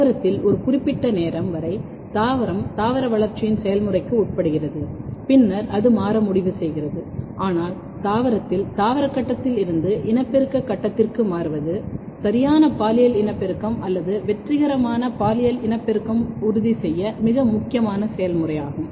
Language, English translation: Tamil, So, basically what happens in the plant at up to a certain time point, plant undergo the process of vegetative growth then it decide to transition, but the transition from vegetative phase to reproductive phase is a very important process in the plant to ensure proper sexual reproduction or successful sexual reproduction